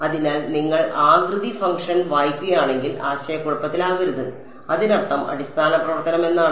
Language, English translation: Malayalam, So, if you read shape function do not get confused it means basis function